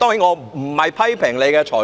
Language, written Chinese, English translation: Cantonese, 我並非批評你的裁決。, I am not criticizing your ruling